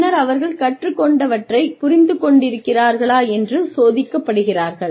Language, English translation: Tamil, And then, there understanding of whatever they have learnt, is tested